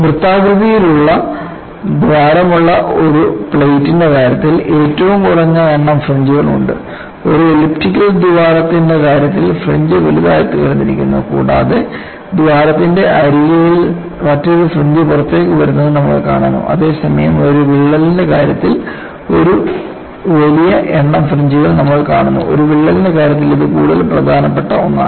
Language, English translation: Malayalam, The least number of fringes are present in the case of a plate with a circular hole; in the case of an elliptical hole, the fringe has become larger and you also find an appearance of another fringe coming out at the edge of the hole, whereas in the case of a crack, you see a large number of fringes which is definitely indicative of something more important in the case of a crack